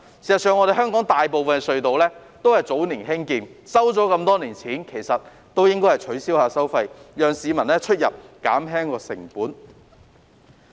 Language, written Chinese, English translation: Cantonese, 事實上，香港大部分隧道也是早年興建，收了這麼多年錢，應該取消收費，讓市民減輕出入的成本。, In fact most tunnels in Hong Kong were built quite a number of years ago . Since money has been collected for so many years toll collection should be abolished to reduce the transport costs of the public